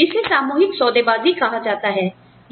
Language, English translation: Hindi, And, that is called collective bargaining